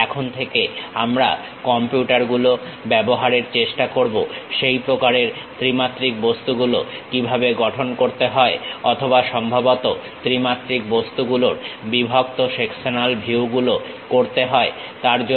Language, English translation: Bengali, Now, onwards we will try to use computers, how to construct such kind of three dimensional objects or perhaps the cut sectional views of three dimensional objects